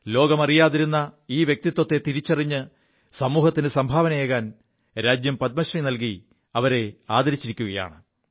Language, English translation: Malayalam, Identifying her anonymous persona, she has been honoured with the Padma Shri for her contribution to society